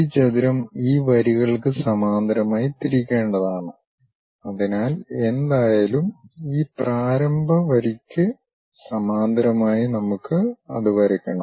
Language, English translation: Malayalam, We have to turn this rectangle parallel to these lines so whatever, this initial line we have parallel to that we have to draw it